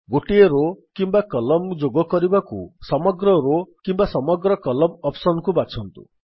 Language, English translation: Odia, Choose Entire Row or Entire Column option to add a row or a column